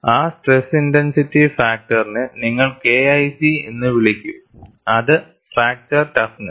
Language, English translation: Malayalam, That stress intensity factor, you will call it as K1C, fracture toughness